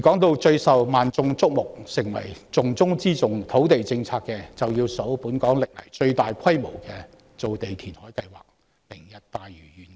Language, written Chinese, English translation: Cantonese, 至於最受萬眾矚目、土地政策的重中之重，便要數本港歷來最大規模的造地填海計劃"明日大嶼願景"。, As regards the most attention drawing centrepiece of the land policy it must be the Lantau Tomorrow Vision―the land production and reclamation project of the largest scale ever in the history of Hong Kong